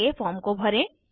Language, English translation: Hindi, Next step is to fill the form